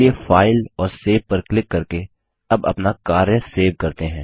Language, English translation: Hindi, Let us save our work now by clicking on File and Save